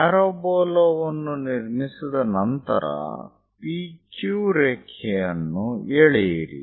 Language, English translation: Kannada, After constructing parabola, draw a P Q line